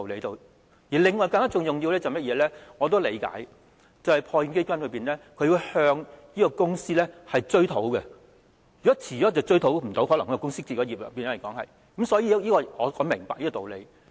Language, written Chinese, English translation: Cantonese, 另外一個更重要的原因是——這個我也理解——破欠基金須向公司追討，如果遲了便無法追討，因為公司可能已經結業，所以我明白這個道理。, Another even more important reason is―and this I also understand―PWIF has to recover the money from the company concerned and if it is late it will not be able to recover the money because the company concerned may have already wound up so I understand this rationale